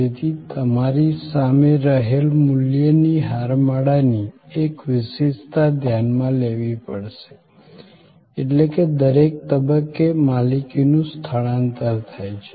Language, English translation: Gujarati, So, this value chain that is in front of you, you have to notice one particular feature of this value chain, is that at every stage there is a transfer of ownership